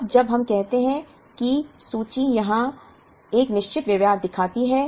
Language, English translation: Hindi, Now, when we say that inventory here shows a certain behavior